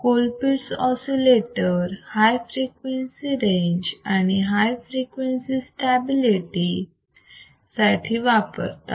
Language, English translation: Marathi, Colpitt’s oscillators are used for high frequency range and high frequency stability